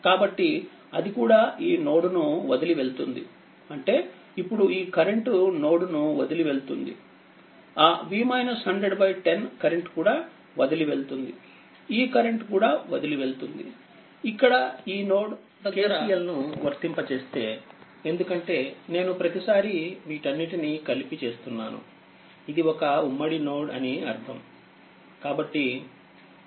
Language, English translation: Telugu, So, it is also leaving right so; that means, your what you call if you now if you apply your this current also leaving, that V minus 100 by 10 this current is also leaving, this current is also leaving; that means, if you apply KCL here this is a common node if you apply KCL because every time I am not bunching it together, it is understandable it is a common node